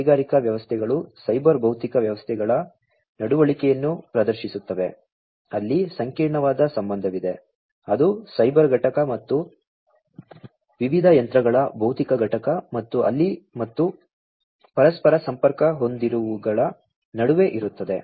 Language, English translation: Kannada, These industrial systems exhibit the behavior of cyber physical systems, where there is an intricate relationship, that is there between the cyber component and the physical component of the different machines and there and the interconnected ones